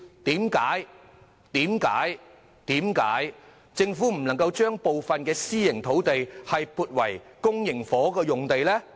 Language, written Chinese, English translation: Cantonese, 政府為何不能把部分私營土地改變為公營房屋用地呢？, Why can the Government not change some private land into land for public housing construction?